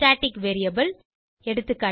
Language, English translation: Tamil, Static variable eg